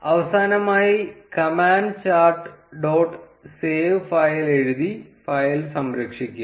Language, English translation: Malayalam, Finally, save the file by writing the command chart dot save file